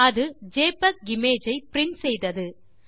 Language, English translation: Tamil, NOW It printed JPEG Image